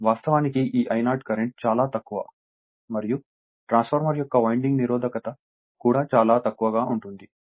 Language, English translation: Telugu, Actually this I 0 current is very small and in the winding resistance of the transformer is also very small